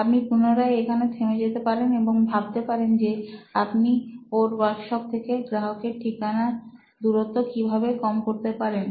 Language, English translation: Bengali, So here again you could stop and say can I, how might we actually decrease the customer location distance from where his workshop was